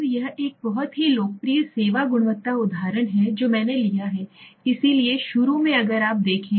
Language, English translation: Hindi, Now this is one a very popular SERVQUAL service quality example which I have taken, so initially if you see